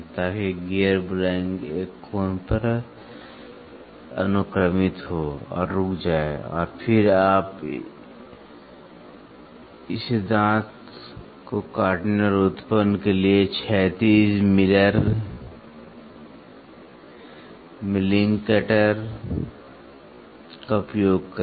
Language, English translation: Hindi, So, that the gear blank indexes at an angle and stops and then you just use a horizontal miller milling cutter to cut and generate this teeth